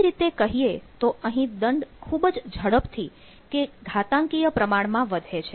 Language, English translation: Gujarati, in other sense, this penalty grows exponentially